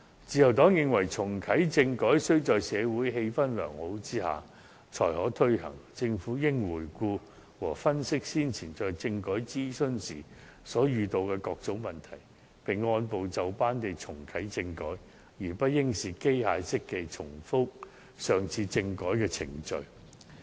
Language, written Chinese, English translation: Cantonese, 自由黨亦認為重啟政改須在社會氣氛良好下才可推行，政府應回顧和分析先前在政改諮詢時遇到的各種問題，並按部就班地重啟政改，而不應機械式地重複上次的政改程序。, The Liberal Party also believes that constitutional reform should only be reactivated when the atmosphere in society is fine . The Government should review and analyse the problems encountered during the last consultation on constitutional reform and reactive constitutional reform step by step but not mechanically duplicating the procedures of the previous constitutional reform exercise